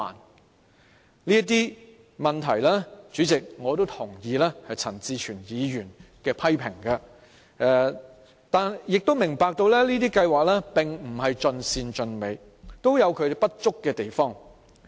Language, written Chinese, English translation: Cantonese, 代理主席，對於這些問題，我也同意陳志全議員的批評，但亦明白這些計劃並不是盡善盡美，會有不足之處。, Deputy President while I subscribe to the criticisms made by Mr CHAN Chi - chuen of those issues I understand that these types of schemes are imperfect and bound to carry deficiencies